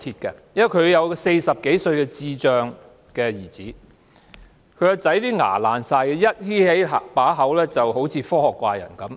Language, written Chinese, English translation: Cantonese, 她有一個40多歲的智障兒子，他的牙齒全都壞掉，一張開口便好像科學怪人般。, He has a full mouth of decayed teeth making him look like Frankenstein when he opens his mouth